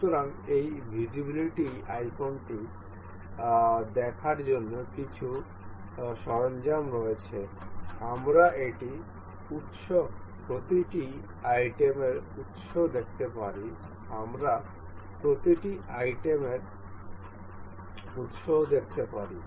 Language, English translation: Bengali, So, there are some tools to see this visibility icon, we can see the origin of this, origin of each of the items, we can see origin of each items